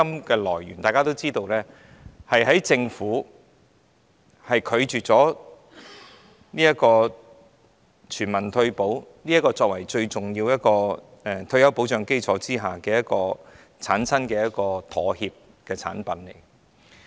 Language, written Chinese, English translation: Cantonese, 第一，大家亦知道強積金源於政府拒絕推行全民退休保障作為最重要的退休保障基礎，是因妥協而出現的產物。, First we all know that MPF originated from the Governments refusal to implement universal retirement protection as the most important basis of retirement protection and hence MPF came about as a compromise